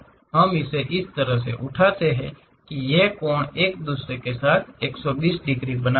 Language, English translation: Hindi, We lift it up in such a way that, these angles makes 120 degrees with each other